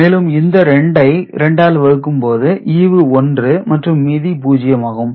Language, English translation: Tamil, 5, we multiply again with 2, we get 1 and this is 0 ok